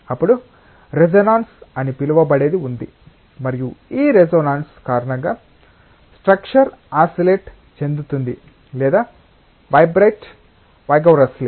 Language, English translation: Telugu, Then there is something called as resonance, and because of this resonance the structure may oscillate or vibrate vigorously